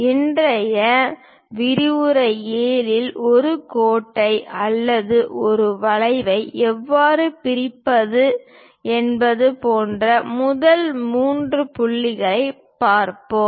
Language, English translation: Tamil, In today's lecture 7, the first three points like how to bisect a line or an arc